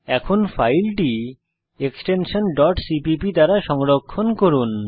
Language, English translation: Bengali, Now save the file with .cpp extension